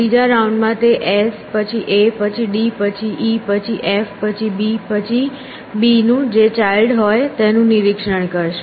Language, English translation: Gujarati, In the third round it will inspect them in s then a then d then e then f then b and then whatever the child of b is actually